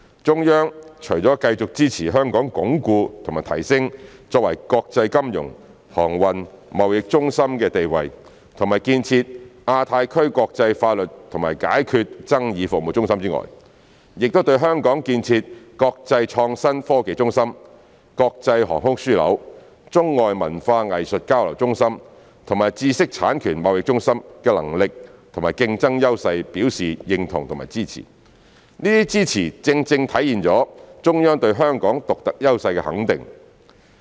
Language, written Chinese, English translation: Cantonese, 中央除了繼續支持香港鞏固和提升作為國際金融、航運、貿易中心的地位和建設亞太區國際法律及解決爭議服務中心外，也對香港建設國際創新科技中心、國際航空樞紐、中外文化藝術交流中心和知識產權貿易中心的能力和競爭優勢表示認同和支持，這些支持正正體現了中央對香港獨特優勢的肯定。, Apart from continuing to support Hong Kong in consolidating and enhancing its status as an international financial transportation and trade centres and to establish Hong Kong as the centre for international legal and dispute resolution services in the Asia - Pacific region the Central Government also recognizes and supports Hong Kongs capability and competitive edge in establishing itself as an international innovation and technology hub an international aviation hub a hub for arts and cultural exchanges between China and the rest of the world as well as an intellectual property trading hub . Such support reflects the Central Governments recognition of Hong Kongs unique advantages